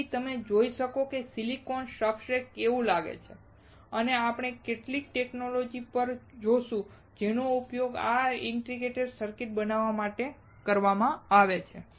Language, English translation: Gujarati, So, you can see how silicon substrate looks like and we will also see several techniques that are used to fabricate this integrated circuits